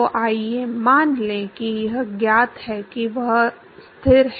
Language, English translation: Hindi, So, let us assume that it is known at it is constant